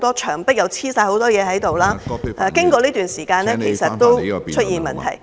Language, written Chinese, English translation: Cantonese, 牆上貼滿紙張，經過一段時間後，其實已經出現問題......, Problems are emerging after the posters have been put up for quite some time